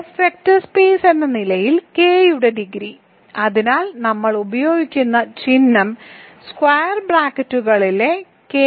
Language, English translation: Malayalam, So, dimension of K as an F vector space, so the notation that we will use is K colon F in square brackets